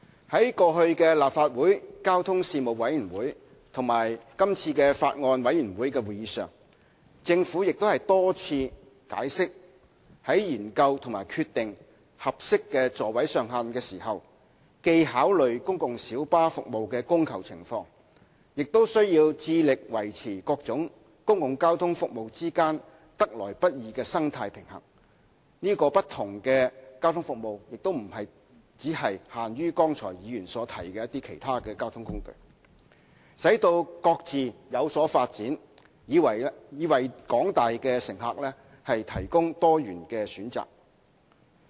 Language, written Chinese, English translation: Cantonese, 在過去立法會交通事務委員會及今次法案委員會的會議上，政府已多次解釋，在研究及決定合適的座位上限時，既考慮公共小巴服務的供求情況，亦需要致力維持各種公共交通服務之間得來不易的生態平衡——所指的不同交通服務亦不僅限於剛才議員提及的其他交通工具——並使其各自有所發展，藉以為廣大乘客提供多元選擇。, At previous meetings of the Legislative Council Panel on Transport the Panel and the Bills Committee on Road Traffic Amendment Bill 2017 the Government has repeatedly explained that when exploring and deciding on the appropriate maximum seating capacity it has to consider the demand and supply of PLBs; and strive to maintain the delicate balance amongst various public transport services including but not limited to the other transport modes mentioned by Members just now and foster their respective developments so as to provide diversified choices for the travelling public